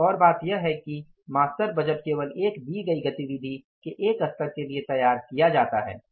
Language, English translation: Hindi, Another thing is the master budget is prepared for only one level of a given type of activity